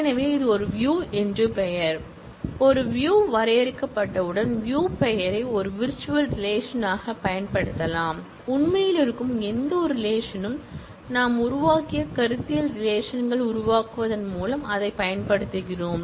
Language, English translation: Tamil, So, this is a view name, once a view is defined, the view name can be used as a virtual relation, it can be used exactly as we use any of the really existing relation, the conceptual relations that we have created, through create table